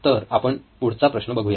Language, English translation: Marathi, So we’ll go to the next problem